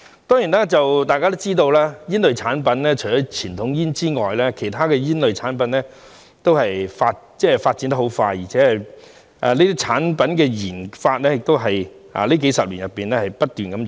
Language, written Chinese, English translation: Cantonese, 當然，大家也知道煙類產品除了傳統煙外，其他煙類產品的發展十分迅速，而且這些產品的研發在這數十年內不斷湧現。, Certainly we all know that as far as tobacco products are concerned apart from conventional cigarettes rapid development has been seen in other tobacco products as well with the research and development of such products emerging continuously in the past few decades